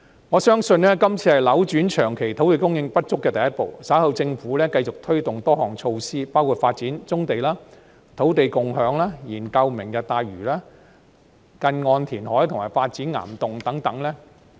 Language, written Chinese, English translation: Cantonese, 我相信今次是扭轉土地長期供應不足的第一步，稍後政府繼續推動多項措施，包括發展棕地、土地共享、研究"明日大嶼"、近岸填海和發展岩洞等。, I believe that this is the first step in reversing the long - term shortage of land supply . The Government will soon press ahead with a number of measures including the development of brownfield sites land sharing the study on Lantau Tomorrow near - shore reclamation and rock cavern development